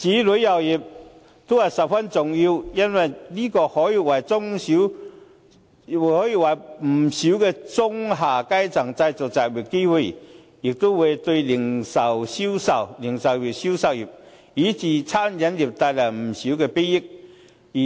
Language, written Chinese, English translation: Cantonese, 旅遊業發展也是十分重要的，因為可以為不少中下階層人士製造就業機會，也會為零售業以至餐飲業帶來不少裨益。, Development of tourism is also very important as this can create employment opportunities for lower to middle class and can also benefit the retail and catering industries